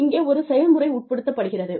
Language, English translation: Tamil, There is a process, involved